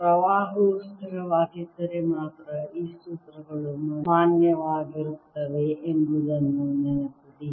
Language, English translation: Kannada, remember, these formulas are valid only if the current is steady